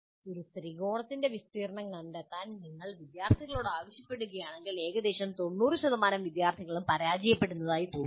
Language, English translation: Malayalam, If you ask the student to find the area of a triangle, almost 90% of the students seem to be failing